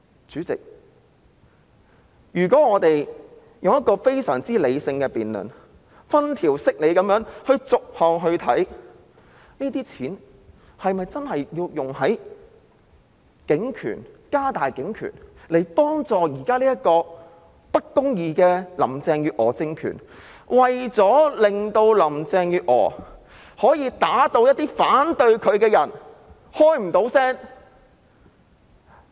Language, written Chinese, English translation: Cantonese, 主席，如果我們非常理性地進行辯論，分條析理地逐項審視，這些錢是否真的要用於加大警權，協助現時這個不公義的林鄭月娥政權，讓林鄭月娥可以把一些反對她的人打到無法發聲呢？, Chairman if we take a very rational approach in the debate to examine each item one by one in a well - organized manner should this sum of money indeed be used to expand police power and assist this Carrie LAM regime of injustice so that she can beat up people who oppose her in order to silence them?